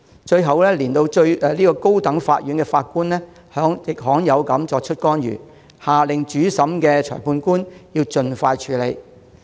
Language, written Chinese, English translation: Cantonese, 最後，連高等法院法官也罕有地作出干預，下令主審裁判官盡快處理。, Finally a High Court Judge intervened which was rare and ordered the presiding Magistrate to deal with the case as soon as possible